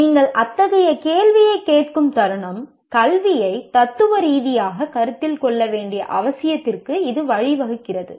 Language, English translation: Tamil, The moment you ask such a question, it leads to the necessity that to consider education philosophically